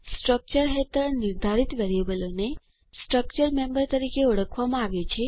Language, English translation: Gujarati, Variables defined under the structure are called as members of the structure